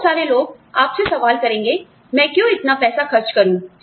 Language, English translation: Hindi, A lot of people will question you, why should I spend, so much money